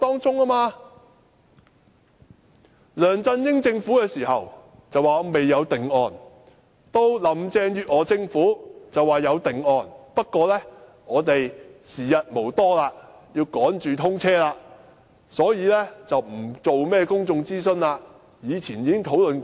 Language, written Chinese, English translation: Cantonese, 在梁振英政府時期，政府表示未有定案；到了林鄭月娥政府便說有定案，不過時日無多，要趕着通車，所以不進行公眾諮詢，況且以前已經討論過。, The LEUNG Chun - ying Government said during its term that there was yet to be any finalized proposal . But there is now a finalized proposal under the Carrie LAM Government except the Government now claims that time is limited due to the need to meet the commissioning of the XRL and that it will not conduct any public consultation because the proposal has been discussed before